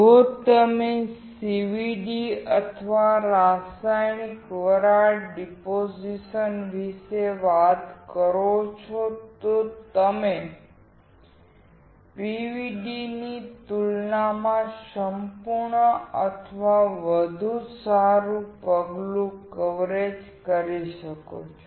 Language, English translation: Gujarati, If you talk about CVD or chemical vapor deposition, you can see a perfect or better step coverage compared to the PVD